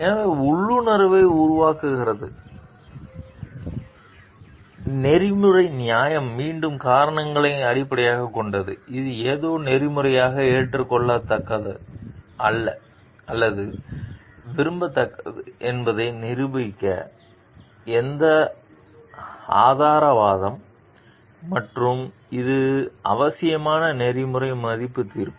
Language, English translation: Tamil, So, that develops the intuition, so ethical justification is again based on reasons, which evidence argument to demonstrate that something is ethically acceptable or desirable so and it is a necessary ethical value judgment